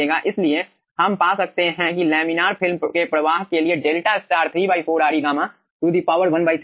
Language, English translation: Hindi, the delta star for laminar film flow comes out to be 3 by 4 re gamma to the power 1 by 3